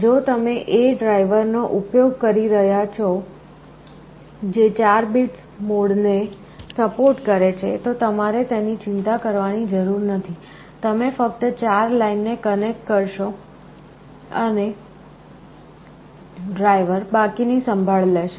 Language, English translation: Gujarati, If you are using a driver that supports 4 bit mode, you need not have to worry about it, you connect to only 4 lines and the driver will take care of the rest